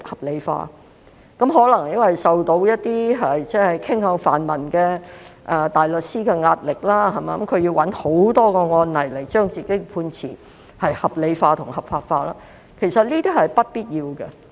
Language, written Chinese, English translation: Cantonese, 這可能是因為法官受到一些傾向泛民陣營的大律師的壓力，故此便要找很多案例來將其判詞合理化、合法化，但這其實是不必要的。, This is probably because judges were pressured by barristers leaning towards the pan - democratic camp so they had to find many cases to justify and rationalize their judgments which is actually unnecessary